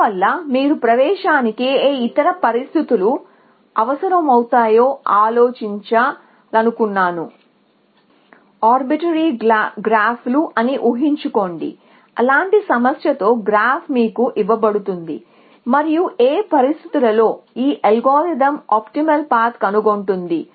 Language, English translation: Telugu, So, I wanted to think of what other conditions you can might require for admissibility, just imagine that this is some obituary graphs such problem some graph is given to you and under what conditions will you, will this algorithm find an optimal path